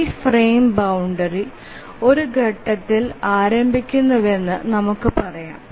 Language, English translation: Malayalam, Let's say we have this frame boundary starting at this point